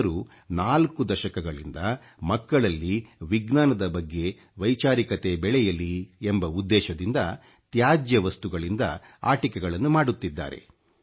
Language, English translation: Kannada, He has been making toys from garbage for over four decades so that children can increase their curiosity towards science